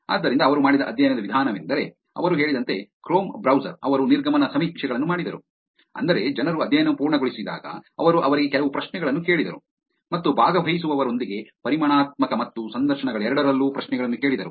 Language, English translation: Kannada, So methodology of the study that they did was Chrome browser as they said, they did exit surveys, which is when people completed the study, they asked them some questions and also asked them questions in terms of both quantitative and also interviews with the participants